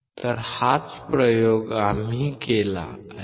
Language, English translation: Marathi, So, that is the experiment that we have performed